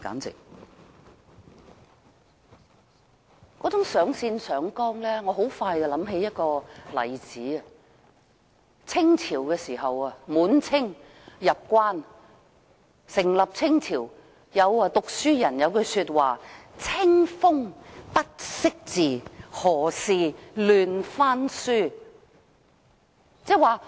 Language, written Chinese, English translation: Cantonese, 這種上綱上線，讓我很快想起一個例子，就是在滿清入關成立清朝之初，有讀書人寫了一句話，"清風不識字，何事亂翻書"。, Such an infinite exaggeration has led me to think of an instance right away . Soon after the establishment of the Qing Dynasty following the Manchus conquest of the capital an intellectual wrote The breeze is unable to read so why does it want to rummage through the pages of a book?